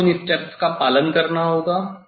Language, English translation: Hindi, these are the step one has to follow